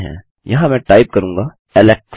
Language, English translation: Hindi, Here Ill type Alex